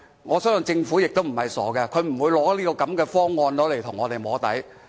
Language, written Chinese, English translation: Cantonese, 我相信政府也不是傻的，它不會拿這種方案跟我們"摸底"。, I think the Government is not stupid either and it will not offer us such an arrangement to touch base